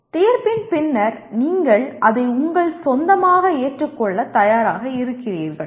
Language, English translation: Tamil, After the judgment then it becomes you are willing to accept it as your own